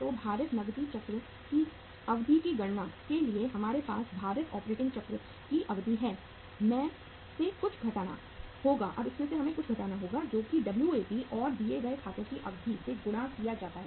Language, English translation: Hindi, So for calculating the duration of the weighted cash cycle so we have the duration of the weighted operating cycle minus uh we have the we have to subtract here something that is the Wap and multiplied by the duration of the accounts payable